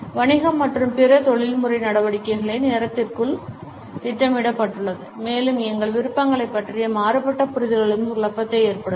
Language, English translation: Tamil, Business and other professional activities are planned within time and diverse understandings about our preferences can also cause confusion